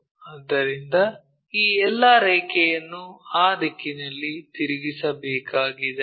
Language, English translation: Kannada, So, all this line has to be rotated in that direction